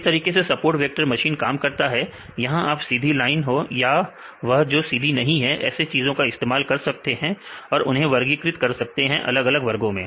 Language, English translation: Hindi, So, this is how the support vector machines; you can use straight lines or you can use any type of non linear fits you can do to classify the different two different classes